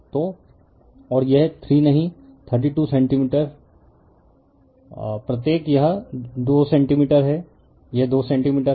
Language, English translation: Hindi, So, and this 3 not 3 2 centimeter each right, it is 2 centimeter this is 2 centimeter right